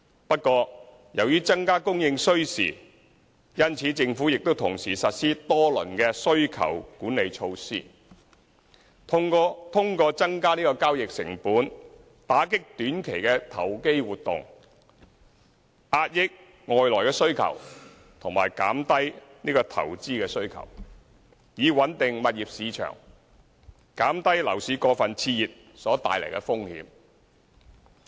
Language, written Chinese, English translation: Cantonese, 不過，由於增加供應需時，因此政府亦同時實施多輪需求管理措施，通過增加交易成本，打擊短期投機活動、遏抑外來需求和減低投資需求，以穩定物業市場，減低樓市過分熾熱所帶來的風險。, However it takes time to increase supply . Thus the Government has implemented several rounds of demand - side management measures in the meanwhile to combat short - term speculation curb external demand and reduce investment demand to stabilize the property market and reduce the risks arising from an over - heated market by increasing the costs of property transactions